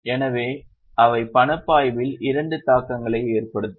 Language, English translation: Tamil, So, they will have two impacts on cash flow